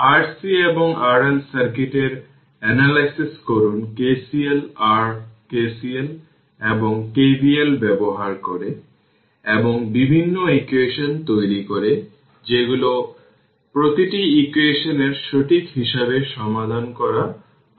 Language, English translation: Bengali, We carry out the analysis of R C and R L circuit by using your what you call KCL your KCL and KVL and produces different equations, which are more difficult to solve then as every equations right